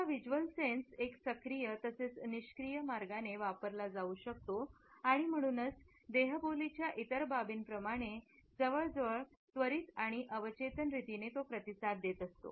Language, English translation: Marathi, Our visual sense can be used in an active as well as in a passive manner and therefore, it responses in almost an immediate and subconscious manner like all the other aspects of non verbal communication